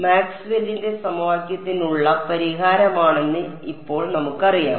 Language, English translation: Malayalam, Now we know that the solution to Maxwell’s equation